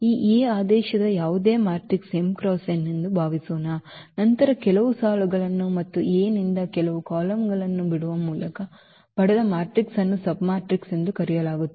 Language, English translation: Kannada, Suppose, this A is any matrix of order m cross n, then a matrix obtained by leaving some rows and some columns from A is called a submatrix